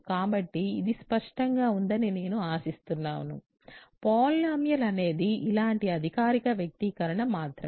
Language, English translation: Telugu, So, I hope this is clear: a polynomial is just a formal expression like this ok